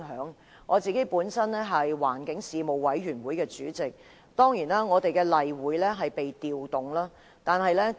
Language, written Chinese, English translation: Cantonese, 以我為例，我是環境事務委員會主席，我們的例會當然被調動了。, Take me as an example . I am the Chairman of the Panel on Environmental Affairs . Our regular meeting has of course been rescheduled